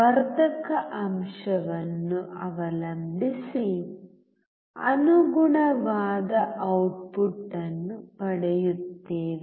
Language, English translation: Kannada, Depending on the amplification factor, we will get the corresponding output